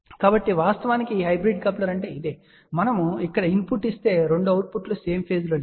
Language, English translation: Telugu, So in fact, that is what this hybrid coupler is all about; that if we give a input here the 2 outputs are at out of phase